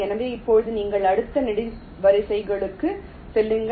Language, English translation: Tamil, so now you move to the next columns